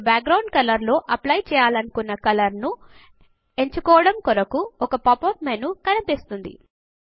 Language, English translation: Telugu, A pop up menu opens up where you can select the color you want to apply as a background